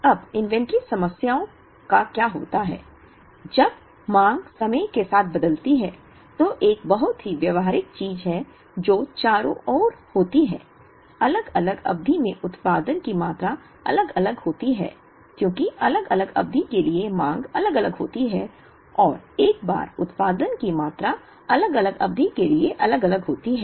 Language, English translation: Hindi, Now, what happens to inventory problems when, the demand varies with time, which is a very practical thing that happens around; Production quantities are different in different periods, because demands are different for different periods and once the production quantities are different for different periods